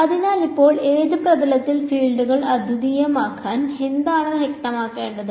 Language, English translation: Malayalam, So, now, what do I have to specify for the fields to be unique on which surface